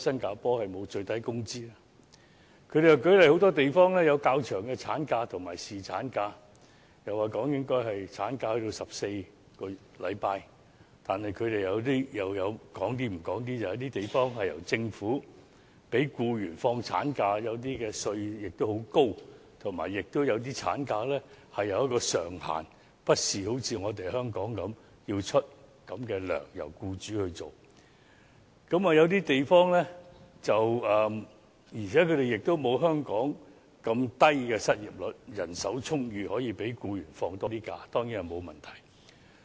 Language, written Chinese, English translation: Cantonese, 他們又舉例說很多地方有較長的產假和侍產假，又說產假應該增至14周，但他們卻不說有些地方由政府支薪給放產假的僱員；有些地方的稅率也很高；有些地方為產假設立薪酬上限，不像香港般由僱主支付僱員原有的薪金；有些地方亦沒有像香港這麼低的失業率，當地人手充裕，讓僱員多放假當然也沒有問題。, They also cited examples of longer maternity leave and paternity leave being provided in many places adding that the maternity leave duration should be increased to 14 weeks and yet they did not say that employees taking maternity leave are paid by the Government in some places that the tax is high in some places that a salary cap is imposed for maternity leave in some places unlike the practice in Hong Kong where employees are paid their original wages by the employers and that the unemployment rate in some places is not as low as that in Hong Kong and given an abundant supply of workers certainly it is not a problem to allow employees to have more days of leave